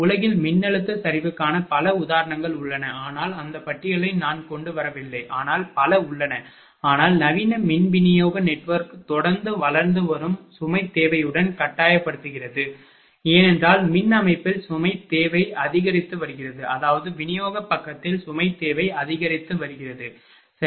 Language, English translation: Tamil, There are many examples of voltage collapse in the volt, but I did not bring that list there are many so, but the modern power distribution network is constantly being forced with an ever growing load demand because, load demand in power system is increasing; that means, on the distribution side that load demand is increasing, right